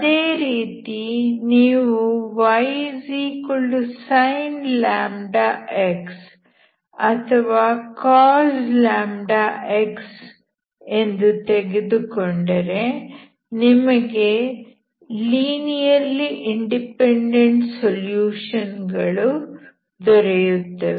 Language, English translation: Kannada, Similarly if you take y=sin λ x∨cos λx you will have linearly dependent solutions